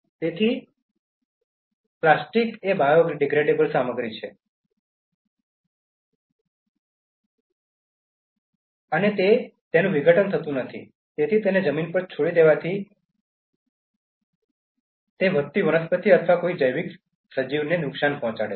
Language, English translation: Gujarati, So, plastic is a non biodegradable material and since it does not decompose, leaving it on soil it can harm growing plants or any biological organism